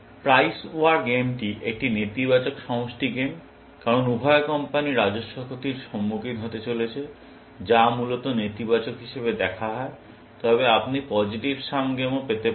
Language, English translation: Bengali, The Price War game is a negative sum game, because the revenue of both the companies is going to suffer a loss, which is seen as negative, essentially, but you can also have positive sum games